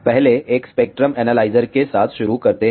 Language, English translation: Hindi, Let us start with the first one spectrum analyzer